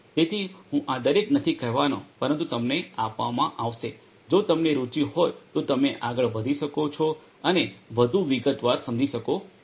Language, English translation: Gujarati, So, I am not going to go through each of these, but is given to you to you know if you are interested you can go through and understand in further detail